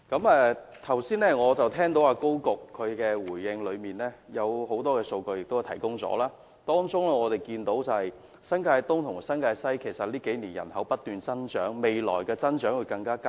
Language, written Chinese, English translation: Cantonese, 我剛才聽到高局長在答覆中提供了很多數據，當中顯示新界東及新界西近數年的人口不斷增長，未來的增長更會加劇。, I am aware that Secretary Dr KO has provided us with many figures in his reply which show that the population in NTEC and NTWC has increased in recent years and the increase is expected to be more drastic in the future